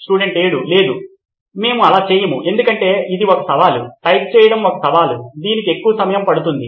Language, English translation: Telugu, No, we do not do that because it is a challenge, typing is a challenge it takes more of time